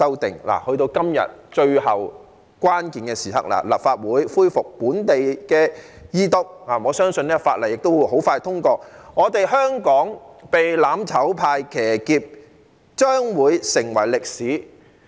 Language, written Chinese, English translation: Cantonese, 到了今天最後關鍵的時刻，本地立法在立法會恢復二讀，我相信法案亦會很快通過，香港被"攬炒派"騎劫將會成為歷史。, Now that we have come to the final critical moment today with the Second Reading debate of the local legislation resumed in the Legislative Council I believe the Bill will be passed very soon and the hijacking of Hong Kong by the mutual destruction camp will become history